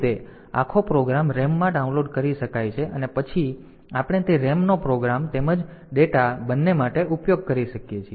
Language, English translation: Gujarati, So, that way the entire program can be downloaded into the RAM and then we can use that RAM both for program as well as data